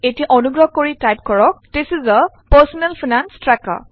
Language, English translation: Assamese, Now we type THIS IS A PERSONAL FINANCE TRACKER